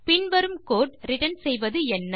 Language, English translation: Tamil, What will the following code return